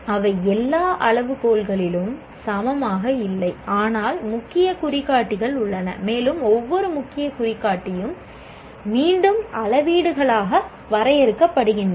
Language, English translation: Tamil, They are not equal in number across all criteria, but there are key indicators and once again each key indicator is further delineated as metrics